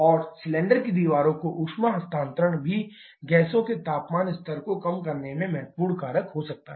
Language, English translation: Hindi, And also heat transfer to the cylinder walls can be significant factor in reducing the temperature level of the gases